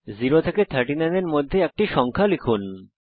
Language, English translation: Bengali, Press Enter enter a number between 0 and 39